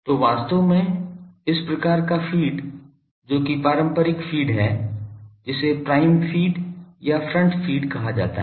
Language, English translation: Hindi, So, actually this type of feed which is the classical feed that is called prime feed or front feed feed